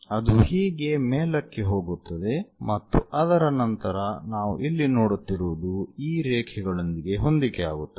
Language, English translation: Kannada, It goes all the way up it goes up and after that on top whatever that we see that will be coinciding with these lines and this goes down